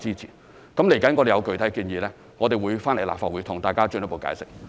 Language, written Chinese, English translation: Cantonese, 接下來當我們有具體建議時，我們會到立法會向大家作進一步解釋。, We will further brief Members on our specific proposals as soon as they are available